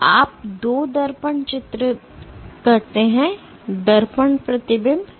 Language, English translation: Hindi, So, you do two mirror images; mirror reflections